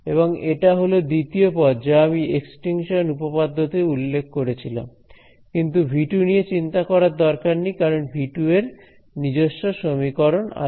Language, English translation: Bengali, And this is the second term is as I mentioned extinction theorem, but do not worry about V 2 because V 2 will have its own equation right